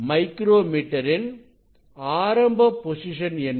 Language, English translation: Tamil, what is the micrometre position, initial position